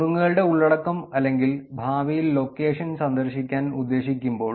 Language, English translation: Malayalam, When the tips content or intention to visit the location in the future